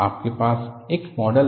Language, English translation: Hindi, You have a model